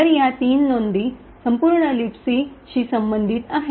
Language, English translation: Marathi, So, these three entries correspond to the entire LibC